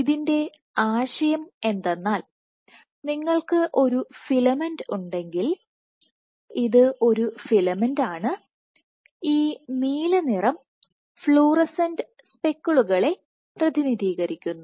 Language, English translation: Malayalam, So, the idea is if you have a filament which is, this is a filament where these blue colour corresponds to fluorescent speckles